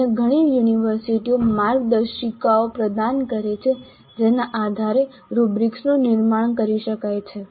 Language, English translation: Gujarati, Many other universities do provide the kind of a guidelines based on which the rubrics can be constructed